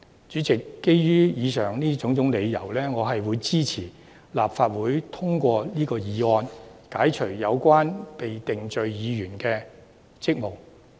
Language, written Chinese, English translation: Cantonese, 主席，基於以上種種理由，我支持本會通過這項議案，解除有關被定罪議員的職務。, President based on the above I support the Council to pass this motion in order to relieve the convicted Member of her duties